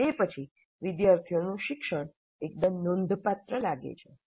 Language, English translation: Gujarati, And then the learning of the students seems to be fairly substantial